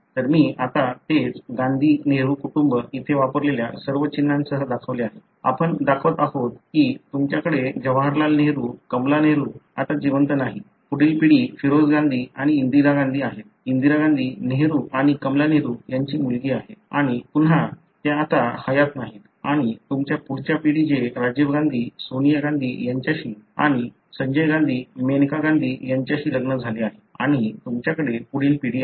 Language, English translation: Marathi, So,, I have shown here now the same Gandhi Nehru family with all the symbols that have been used here; we are showing that you have Jawaharlal Nehru, Kamala Nehru, no longer alive; next generation is Feroze Gandhi and Indira Gandhi; Indira Gandhi being daughter of Nehru and Kamala Nehru and again they are not alive now and you have next generation Rajiv Gandhi, Sanjay Gandhi, married to Sonia and Menaka Gandhi and you have the next generation